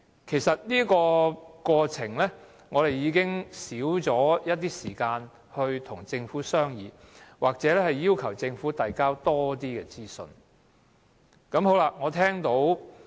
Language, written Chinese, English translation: Cantonese, 其實我們已經少了時間與政府商議或要求政府提交更多資料。, In fact we have less time to discuss with the Government or ask the Government for more information